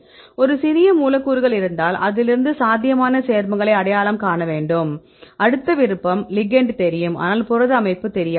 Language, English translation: Tamil, If you have pool of a small molecules and from that the set we have to identify the probable compounds and the next option is we know the ligand, but we do not know protein structure